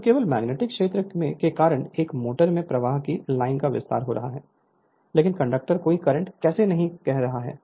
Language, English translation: Hindi, So, distribution of line of flux in a motor due to magnetic field only right, but conductors carrying no current